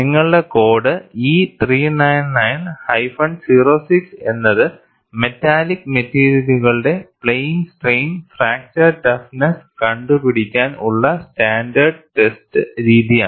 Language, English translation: Malayalam, And your code E 399 06 is the standard test method for plane strain fracture toughness of metallic materials